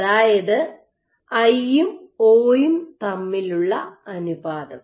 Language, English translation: Malayalam, So, this is a i by o ratio